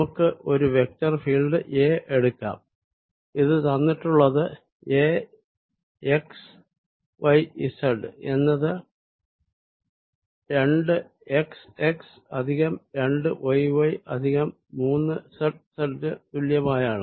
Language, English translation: Malayalam, a, which is given as a, x, y, z is equal to two x, x plus two y, y minus three z, z